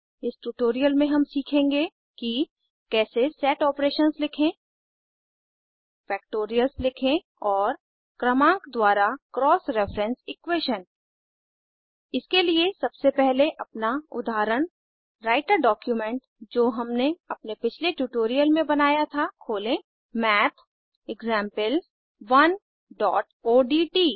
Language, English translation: Hindi, In this tutorial, we will learn how to Write Set operations Write Factorials and Cross reference equations by numbering For this, let us first open our example Writer document that we created in our previous tutorials: MathExample1.odt